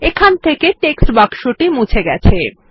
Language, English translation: Bengali, There, we have removed the text box